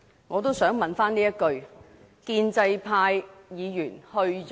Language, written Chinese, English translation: Cantonese, 我也想問一句，建制派議員去了哪裏？, I also wish to ask a question Where are the pro - establishment Members?